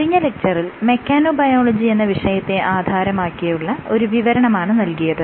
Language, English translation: Malayalam, So, in the last lecture I gave you a brief overview as what is mechanobiology and some motivation for studying mechanobiology